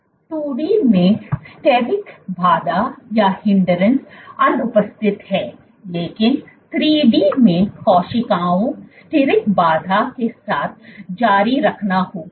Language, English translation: Hindi, In 2D steric hindrance is absent, but in 3D cells would have to continue with steric hindrance